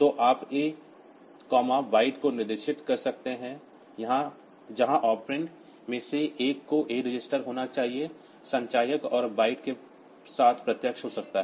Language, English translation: Hindi, So, you can specify a comma byte where the so one of the operand has to be the a register, the accumulator and with the byte can be direct